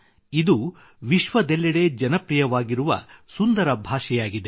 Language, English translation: Kannada, It is such a beautiful language, which is popular all over the world